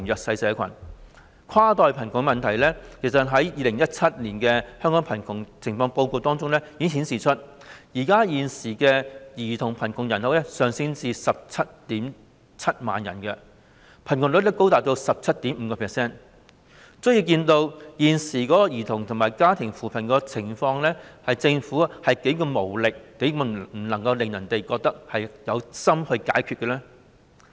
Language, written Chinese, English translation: Cantonese, 事實上，關於跨代貧窮的問題，《2017年香港貧窮情況報告》顯示，現時兒童貧窮人口上升至 177,000 人，貧窮率高達 17.5%， 足見現時政府為兒童及家庭推出的扶貧措施是何等無力、何等無法讓人覺得政府有心解決問題。, In fact concerning the problem of cross - generational poverty according to the Hong Kong Poverty Situation Report 2017 the present number of children in the poor population has increased to 177 000 people and the poverty rate is as high as 17.5 % so it can be seen how weak the Governments existing policy on poverty alleviation designed for children and families is and how it has failed to convince the public of the Governments sincerity in solving the problem